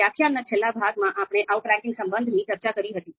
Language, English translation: Gujarati, Then at the last part of the lecture, we were discussing outranking relation